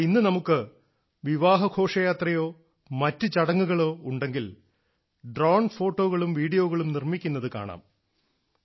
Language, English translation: Malayalam, But today if we have any wedding procession or function, we see a drone shooting photos and videos